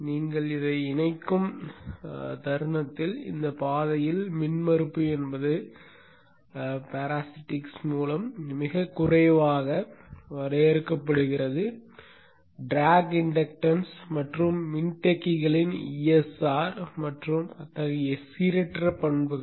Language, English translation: Tamil, So the moment you connect this, the impedance in this path is very minimal, limited only by the parasitics, the track inductance and the ESR of the capacitors and such, such of the non idealities